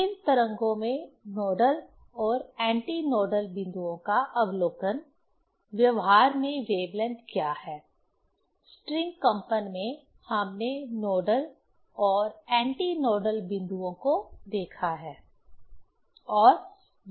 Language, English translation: Hindi, Observation of nodal and antinodal points in stationary waves; what is the wavelength in practice; in string vibration we have seen the nodal and antinodal points